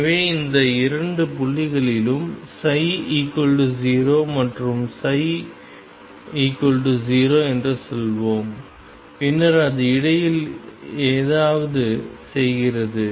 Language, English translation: Tamil, So, let us say psi is 0 and psi is 0 at these two points and then it does something in between